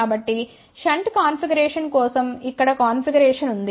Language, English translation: Telugu, So, here is the configuration for shunt configuration